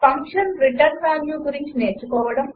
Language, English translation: Telugu, Learn about function return value